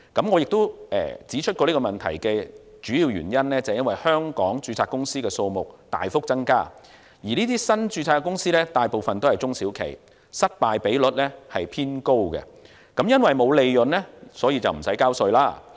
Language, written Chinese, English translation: Cantonese, 我亦都指出過這個問題的主要原因，是因為香港註冊公司的數目大幅增加，而這些新註冊公司大部分都是中小企，失敗比率偏高，因為沒有利潤，所以無須繳稅。, I have also pointed out that the main reason for this problem is the surging number of registered companies in Hong Kong . Most of these newly registered companies are small and medium enterprises SMEs which have high failure rates . When they have no profit they do not need to pay tax